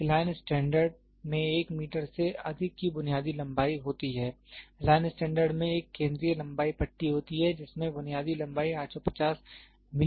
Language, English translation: Hindi, A line standards having a basic length of more than 1 meter, the line standard consists of a central length bar that has a basic length of 850 millimeter